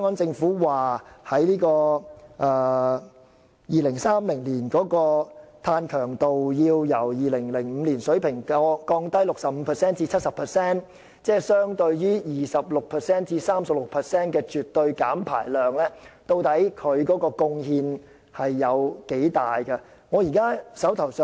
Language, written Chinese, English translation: Cantonese, 政府表示 ，2030 年本港的碳強度會由2005年的水平下降 65% 至 70%， 即相當於絕對減排量的 26% 至 36%。, According to the Government Hong Kongs carbon intensity will drop by 65 % to 70 % by 2030 compared with the 2005 level which is equivalent to 26 % to 36 % of absolute reduction